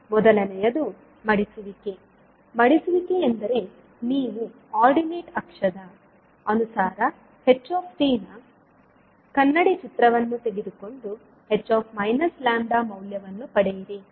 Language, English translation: Kannada, First is folding, folding means you will take the mirror image of h lambda about the ordinate axis and obtain the value of h minus lambda